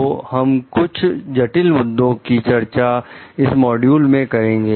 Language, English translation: Hindi, So, we will discuss some critical issues like this in this particular module